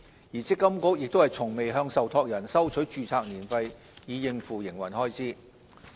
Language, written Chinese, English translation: Cantonese, 而積金局亦從未向受託人收取註冊年費以應付營運開支。, MPFA has never collected annual registration fees from MPF trustees to cover its operating expenses so far